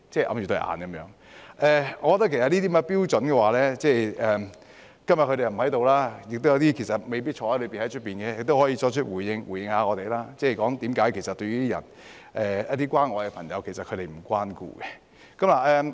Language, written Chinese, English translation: Cantonese, 我覺得這些標準......他們今天不在席，有些未必在坐牢，在外面的也可以回應一下我們，說說他們為何其實不會關顧一些需要關愛的朋友。, I think these standards They are not in the Chamber today perhaps some of them are not behind bars those outside can respond to us and tell us why they would not really care about those who need to be taken care of